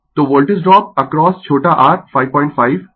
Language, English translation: Hindi, So, Voltage drop across small r is 5